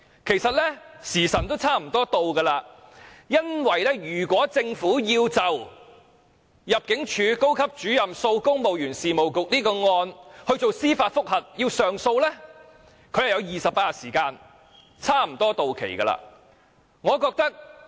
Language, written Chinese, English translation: Cantonese, 其實時辰差不多到了，如果政府要就高級入境事務主任訴公務員事務局一案提出上訴 ，28 天的上訴限期差不多到了。, In fact the 28 - day appeal period is about to expire should the Government want to lodge an appeal against the case Senior Immigration Officer vs Civil Service Bureau